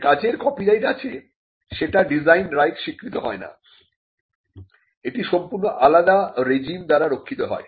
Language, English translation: Bengali, Copyrighted works cannot be a subject matter of design right, because it is protected by a different regime